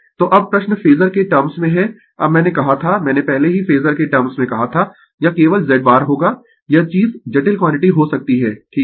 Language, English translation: Hindi, So now, question is in terms of phasor now I told you I have already told you in terms of phasor, it will be just Z bar you may this thing right complex quantity